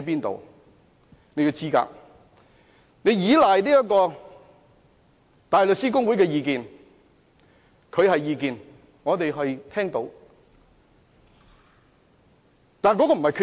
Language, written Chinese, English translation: Cantonese, 他以香港大律師公會的意見為依據，但這是意見而不是決定。, His argument has been based on the views of the Bar Association . Yet views are not equivalent to a decision